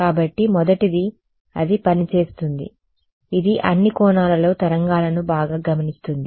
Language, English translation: Telugu, So, the first is going to be that it works it observes waves at all angles ok